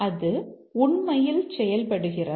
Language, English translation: Tamil, Let's see does it really do